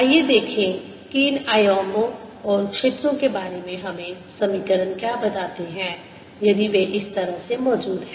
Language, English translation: Hindi, let us see what equations tell us about these amplitudes and the fields, if they exist, like this